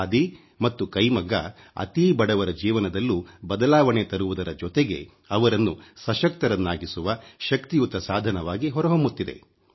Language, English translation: Kannada, Khadi and handloom have transformed the lives of the poorest of the poor and are emerging as a powerful means of empowering them